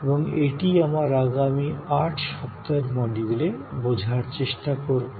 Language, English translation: Bengali, And that is what we will do over number of modules over the next 8 weeks